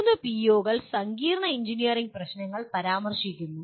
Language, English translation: Malayalam, And three POs mention complex engineering problems